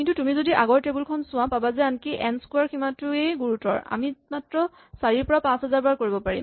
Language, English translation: Assamese, But what the table tells us if you look at the previous table, is that even n square has a very severe limit, we can only do about 4 to 5000